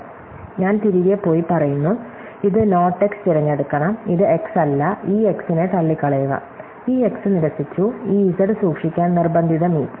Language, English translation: Malayalam, So, therefore, I go back and say that, this should pick this not x, this not x will ruled out this x, ruled out this x, force meet to keep this z